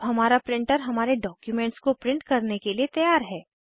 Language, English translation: Hindi, Our printer is now ready to print our documents